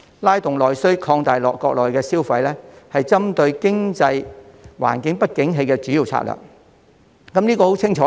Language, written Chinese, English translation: Cantonese, 拉動內需，擴大國內消費是針對經濟環境不景氣的主要策略。, Invigorating domestic demand and stimulating internal spending are a major strategy at this time of economic downturn